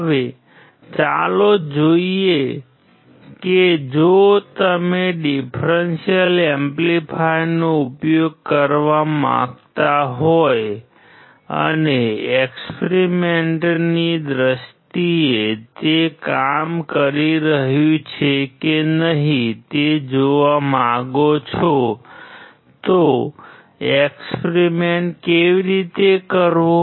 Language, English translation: Gujarati, Now, let us see that if you want to use the differential amplifier and you want to see whether it is working or not in case in terms of experiment, how to perform the experiment